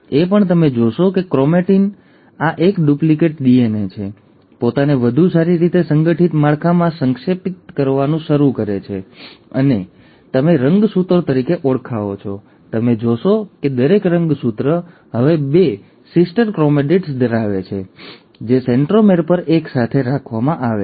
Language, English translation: Gujarati, You also find that the chromatin, right, this is a duplicated DNA, starts condensing itself into a much better organized structure, which is what you call as the chromosomes, and you will notice that each chromosome is now consisting of two sister chromatids, which are held together at the centromere